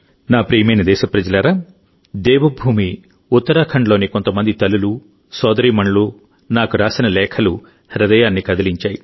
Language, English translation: Telugu, My dear countrymen, the letters written by some mothers and sisters of Devbhoomi Uttarakhand to me are touchingly heartwarming